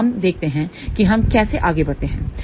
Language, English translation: Hindi, So, let us see how we proceed